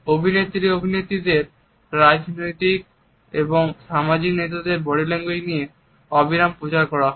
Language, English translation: Bengali, Body language of actress actresses political and social leaders are disseminated endlessly